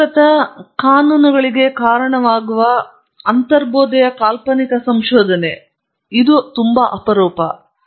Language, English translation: Kannada, First intuitive imaginative research leading to unifying laws; this is rare